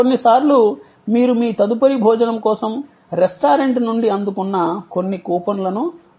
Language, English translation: Telugu, Sometimes you may be using some coupon, which you have received from the restaurant for using your next meal